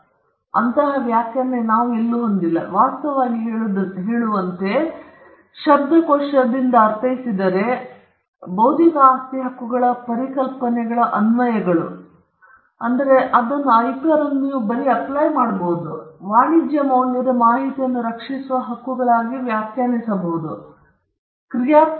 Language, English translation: Kannada, We do not have an agreed definition, in fact, as I mentioned, if you look at a dictionary meaning intellectual property rights can be defined as rights that protect applications of ideas and information that are of commercial value is one definition